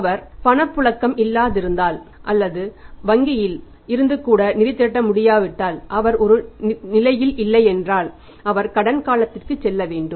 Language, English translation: Tamil, And If he is not in a position if he is having no liquidity or he is not able to raise the funds even from the bank then he has to go for the credit period and say one month is ok for him